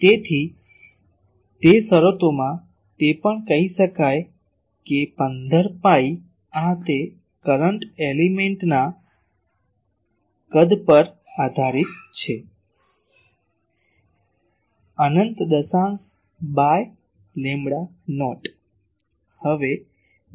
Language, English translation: Gujarati, So, in that terms it can be also said that 15 pi etc, this it depends on the size of the current element, infinite decimal by lambda not